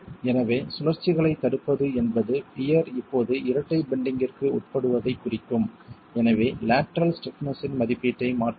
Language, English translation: Tamil, So, prevention of rotations would mean the peer is subjected to double bending now and therefore the estimate of lateral stiffness will change